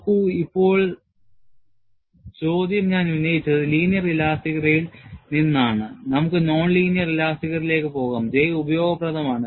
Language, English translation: Malayalam, See, now the question is, I had raised, from linear elasticity, we can go to non linear elasticity and J is useful